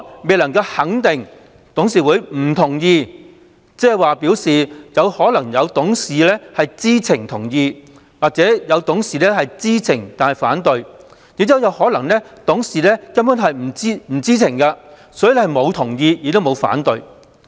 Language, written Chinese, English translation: Cantonese, 未能肯定董事會不同意，即可能有董事在知情下同意或有董事在知情下反對，亦有可能是董事根本不知情，所以既沒有給予同意亦沒有反對。, If the boards disagreement cannot be established the reason may be that some directors gave informed consent or some directors gave informed objection . The reason may also be that the directors were simply not in the know about it so they did not give their consent or objection